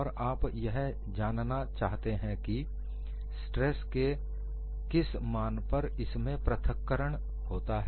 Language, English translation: Hindi, And you want to find out, at what value of this stress would there be separation